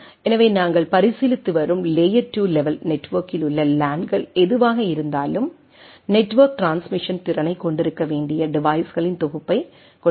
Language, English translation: Tamil, So, whatever LANs at the layer 2 level network we are considering, consist of a collection of devices that must have a network transmission capability